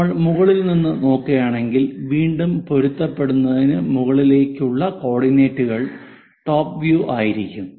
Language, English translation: Malayalam, If we are looking from top, again that follows matched up coordinates top view